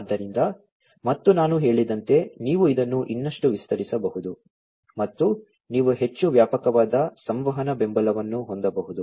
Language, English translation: Kannada, So, and as I said that you can extend this even further and you can have a much more comprehensive kind of communication, you know communication support